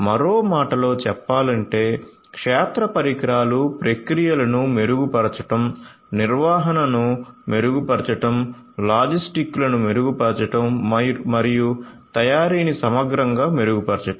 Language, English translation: Telugu, So, in other words we could have field devices improve the processes, improve the maintenance, improve logistics, improve manufacturing holistically